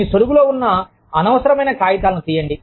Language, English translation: Telugu, Take out the unnecessary papers